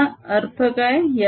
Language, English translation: Marathi, what does this mean